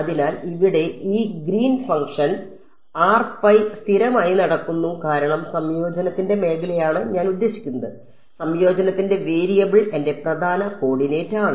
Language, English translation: Malayalam, So, here in this Green's function r m is being held constant because the region of integration is I mean the variable of integration is my prime coordinate